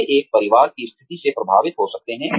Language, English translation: Hindi, They could be influenced by a family situation